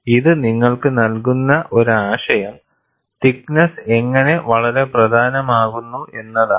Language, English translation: Malayalam, This gives you an idea, how the thickness is very important